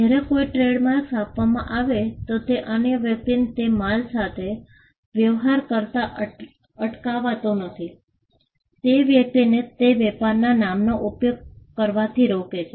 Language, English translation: Gujarati, Whereas, if a trademark is granted it does not stop another person from dealing with those goods, it only stops the person from using that trade name that is it